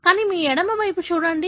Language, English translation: Telugu, But, look at on your left side